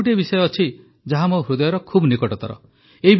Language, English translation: Odia, There is another subject which is very close to my heart